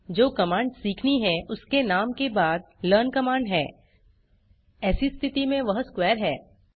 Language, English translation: Hindi, The command learn is followed by the name of the command to be learnt, in this case it is a square